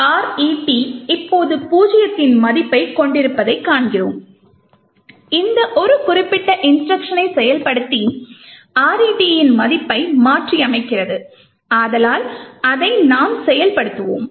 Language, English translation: Tamil, So, we see that RET has a value of zero right now we will execute a single instruction in which case we have actually executed this particular instruction and changed the value of RET